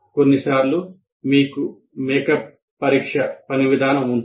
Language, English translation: Telugu, And sometimes you have make up examination or work policy